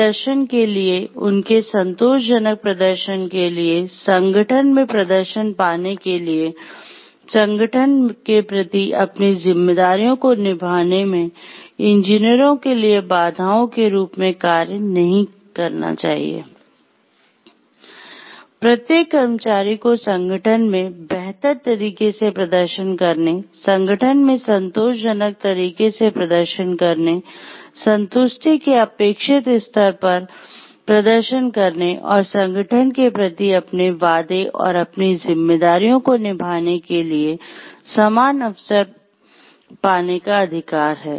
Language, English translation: Hindi, The every employee has the right to equal opportunity, to get the facilitatory environment to perform in a better way in the organization, to perform in a satisfactory way in the organization, to the expected level of satisfaction and keep their promises and their responsibilities towards the organization and to the public at large